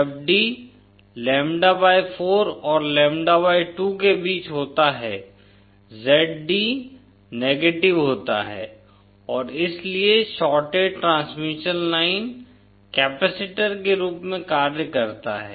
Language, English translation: Hindi, When d is between lambda/4 and lambda/2, Zd is negative and hence the shorted transmission line acts as capacitor